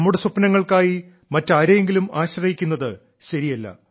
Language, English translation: Malayalam, It is not fair at all that we remain dependant on others for our dreams